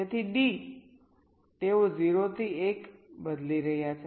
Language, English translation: Gujarati, so d will change from one to zero